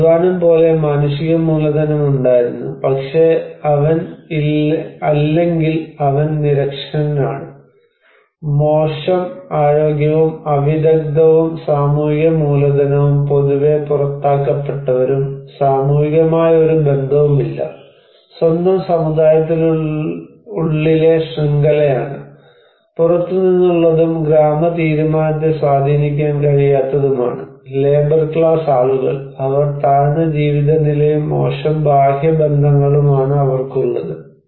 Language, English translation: Malayalam, He had human capital like labour, but he or she is illiterate or no education and poor health, unskilled and social capital generally is not but outcasted considered to be no network, network within own community, no outside and cannot influence the village decision, a labor class people, also low status she enjoys and poor external networks